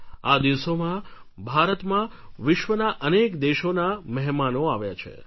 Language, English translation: Gujarati, These days many guests from foreign countries have arrived in India